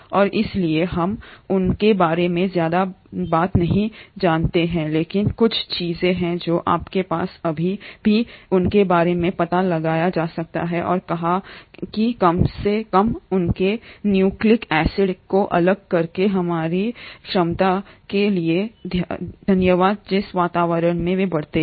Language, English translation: Hindi, And hence we do not know much about them but there are a few things which you have still figured out about them and thatÕs thanks to our ability to at least isolate their nucleic acids from the environment in which they grow